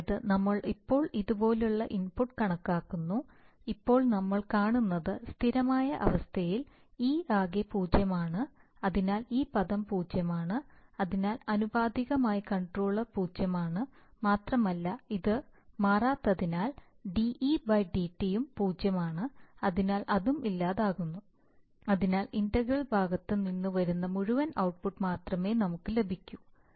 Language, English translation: Malayalam, One thing interesting to see is that, this, so we now calculate input like this, now interestingly that you see that in the steady state, in the steady state the total of e is zero, so therefore this term is zero, so the proportional controller is zero and since he is not also changing, so there is a de/dt is also zero, so that is also gone so we only have the whole output coming from the integral part